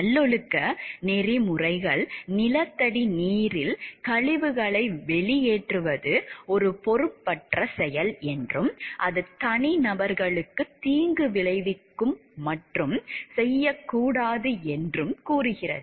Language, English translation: Tamil, Virtue ethics would also say that, discharging waste into groundwater is an irresponsible act, and it is harmful to the individuals and should not be done